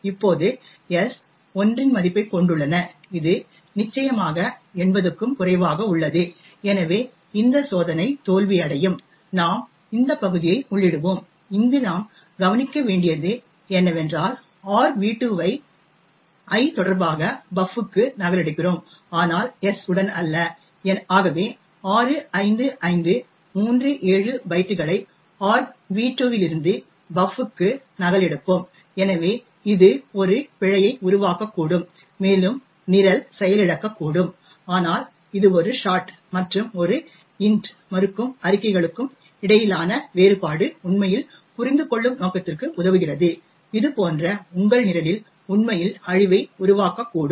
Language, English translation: Tamil, Now s has a value of 1 which is definitely less than 80, so this test will fail and we would enter this part and here you notice that we are copying argv2 into buf with respect to i and not s thus we would copy 65537 bytes from argv2 into buf so this may create a fault and the program may crash but it serves the purpose to actually understand how difference between a shot and an int and seemingly denying statements such as this could actually create havoc in your program